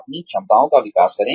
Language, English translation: Hindi, Develop your skills